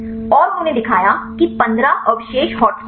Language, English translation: Hindi, And they showed that 15 residues are hotspots